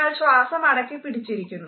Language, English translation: Malayalam, You are holding your breath